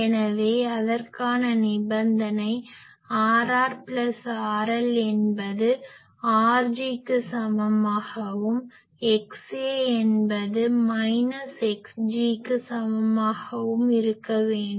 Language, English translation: Tamil, So that means, the condition for that is R r plus R L should be equal to R g and X A should be equal to minus X g